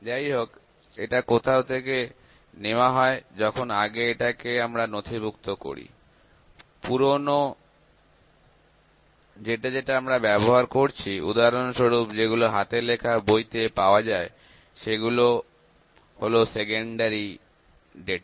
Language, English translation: Bengali, However, it is taken from somewhere when we record it previously, the past data that is that we are using the data for instance those are available in the handbooks; those are secondary data